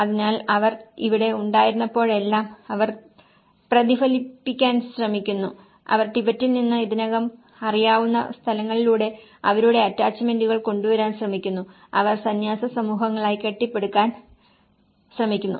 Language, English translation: Malayalam, So, whenever they have been there so they try to reflect, they try to bring their attachments through the places what they already know from Tibet and they try to build as the monastic communities